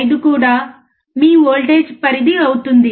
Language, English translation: Telugu, 5 will be your voltage range